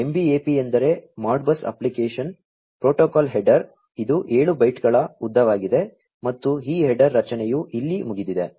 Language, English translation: Kannada, An MBAP stands for Modbus application protocol header, which is of length 7 bytes and this header structure is over here